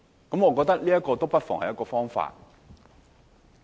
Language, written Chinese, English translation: Cantonese, 我覺得這不失為一個方法。, I think this may well be a way out